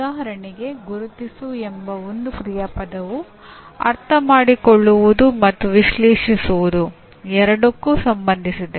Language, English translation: Kannada, For example, one action verb namely “identify” is associated with both Understand as well as Analyze